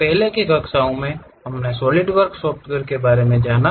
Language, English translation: Hindi, In the earlier classes we have learned about Solidworks software